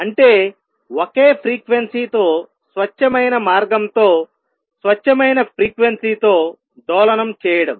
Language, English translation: Telugu, That means, oscillating with a pure frequency with a pure means with a single frequency